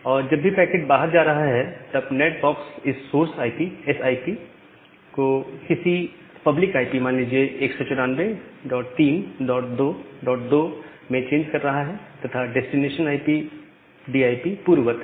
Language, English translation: Hindi, And whenever the packet is going outside, the NAT box is making a change to this source IP source IP to some public IP say 194 dot 3 dot 2 dot 2 and the destination IP as earlier